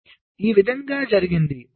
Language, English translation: Telugu, ok, so this is how it is done